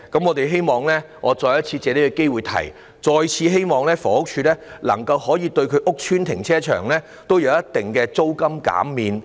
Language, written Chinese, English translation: Cantonese, 我藉此機會再次提出，我們希望房署能夠在其旗下的屋邨停車場提供一定的租金減免。, I take this opportunity to bring up again our wish that HD can provide considerable rental concessions for car parks in housing estates under its purview